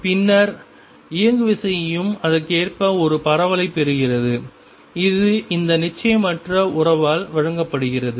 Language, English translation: Tamil, And then the momentum also gets a spread correspondingly and which is given by this uncertainty relationship